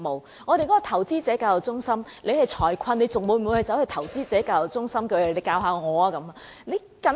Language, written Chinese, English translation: Cantonese, 雖然我們有一個投資者教育中心，但當市民面臨財困時，他們會否走到投資者教育中心求教呢？, We have the Investor Education Center IEC yet when the public are in financial difficulties will they seek help from IEC?